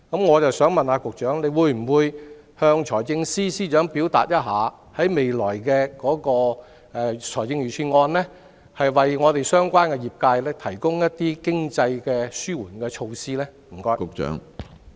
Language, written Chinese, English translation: Cantonese, 我想問局長，會否要求財政司司長在未來的財政預算案中，為相關業界提供一些經濟紓緩措施？, May I ask the Secretary whether he will ask the Financial Secretary to provide some economic mitigation measures for the related industries in the upcoming budget?